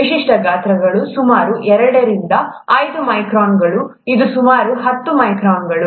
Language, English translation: Kannada, Typical sizes, about two to five microns this is about ten microns